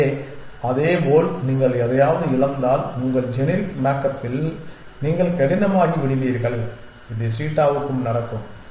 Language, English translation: Tamil, So, likewise if you lose something’s then you become rigid in your generic makeup which is happen to the cheetah